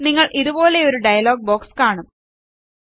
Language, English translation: Malayalam, You will see a dialog box like this